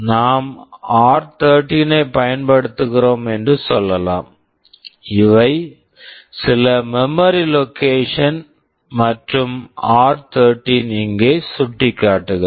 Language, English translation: Tamil, Let us say we are using r13, these are some memory locations and r13 is pointing here